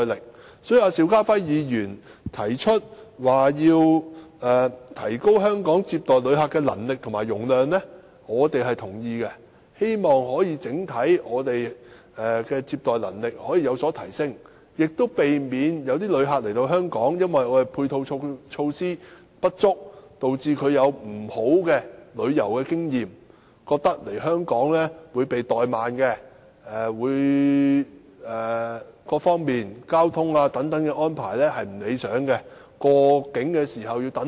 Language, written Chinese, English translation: Cantonese, 因此，民主黨對邵家輝議員提出要提高香港接待旅客的能力和容量表示贊同，希望整體接待旅客的能力有所提升，亦避免訪港旅客因配套措施不足而有不快的旅遊經驗，認為在香港被怠慢，而各方面如交通安排未如理想，入境輪候時間又長。, Hence the Democratic Party agrees with Mr SHIU Ka - fais proposal of upgrading Hong Kongs visitor receiving capability and capacity so that the overall visitor receiving capability will be enhanced . We do not wish to see visitors experiencing unhappy events such as undesirable transport arrangements and long waiting time for entry upon arrival or forming the impression that Hong Kong is being neglectful during their visits due to the inadequacy in our supporting facilities